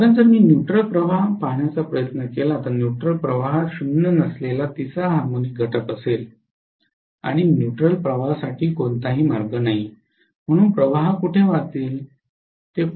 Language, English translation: Marathi, Because if I try to look at the neutral current, the neutral current will have a non zero third harmonic component and there is no path for the neutral currents, so where will the currents flow